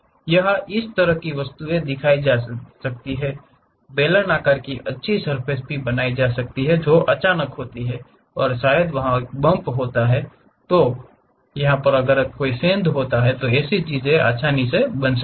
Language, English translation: Hindi, Here such kind of object is shown, a something like a cylindrical nice surface comes suddenly, there is a bump happens there a kind of dent also there